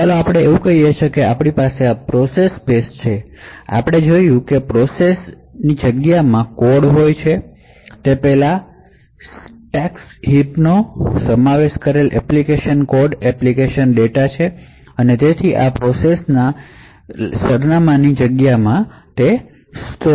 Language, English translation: Gujarati, So let us say that this is our process space so as we have seen before the process space has the code that is the application code application data comprising of stacks heaps and so on and higher in the typical address space of a process is where the operating system resides